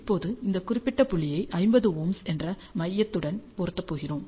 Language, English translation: Tamil, Now, we are going to match this particular point to the centre which is 50 Ohm